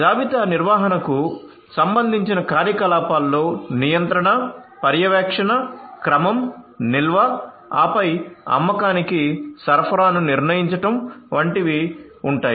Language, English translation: Telugu, So, activities that would entail the management of inventory would include you know controlling the controlling, overseeing, ordering, storage, then determining the supply for sale